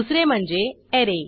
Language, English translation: Marathi, 2nd is the Array